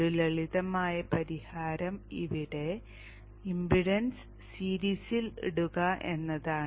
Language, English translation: Malayalam, One simple solution is put an impedance in series here